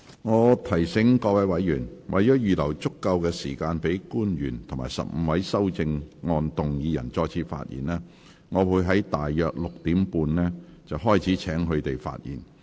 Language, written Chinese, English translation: Cantonese, 我提醒委員，為了預留足夠時間給官員及15位修正案動議人再次發言，我會於今天大約6時30分開始請他們發言。, Let me remind members to allow sufficient time for public officers and the 15 movers of amendments to speak again I will begin at around 6col30 pm today to invite them to speak